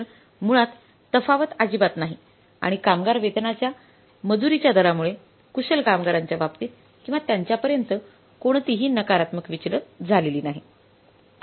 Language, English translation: Marathi, So basically there is no variance at all and labour rate of pay variance has not caused any negative deviation in case of or as far as the skilled labour is concerned